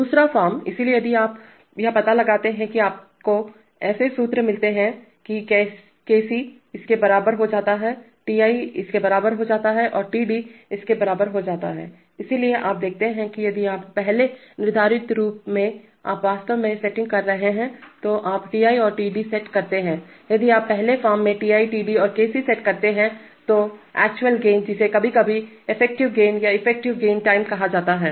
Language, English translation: Hindi, Second form, so if you, it turns out that you get such formulae that Kc ‘ turns out to be equal to this, Ti’ turns out to be equal to this and Td ‘ turns out to be equal to this, so as, so you see that if you set if you set gains Ti and Td in the first form you are actually setting, if you set Ti, Td, and Kc in the first form then the actual gain which sometimes is called the effective gain and the effective integral time